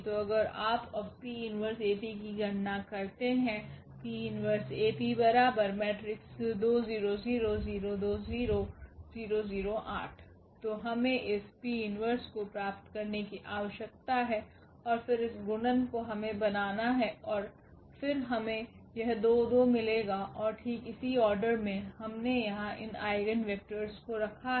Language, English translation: Hindi, So, we need to get this P inverse and then this product we have to make and then we will get this 2 2 and exactly the order we have placed here these eigenvectors